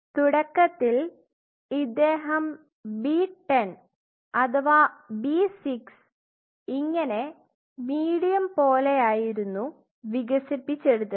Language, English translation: Malayalam, Initially he developed something called B10 or 6 something like a medium